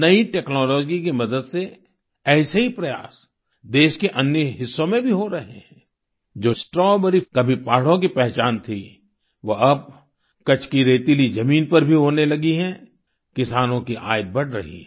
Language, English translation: Hindi, With the help of new technology, similar efforts are also being done in other parts of the country, Strawberry which was once identified with the hills, is now also being cultivated in the sandy soil of Kutch, boosting the income of farmers